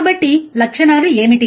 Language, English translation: Telugu, So, what are the characteristics